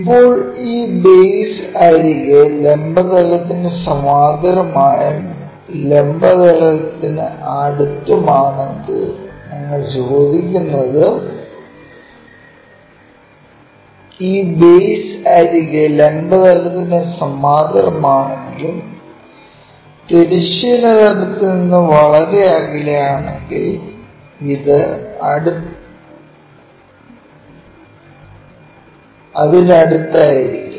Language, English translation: Malayalam, Now, instead of asking these base edge parallel to vertical plane and near to vertical plane what we will ask is if this base edge is parallel to vertical plane, but far away from horizontal plane where this one will be near to that